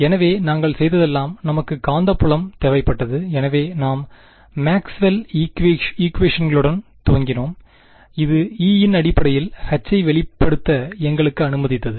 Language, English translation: Tamil, So, all we did was we wanted the magnetic field, we started with the Maxwell’s equations, which allowed us to express H in terms of E